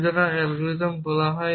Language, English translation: Bengali, So, this unification algorithm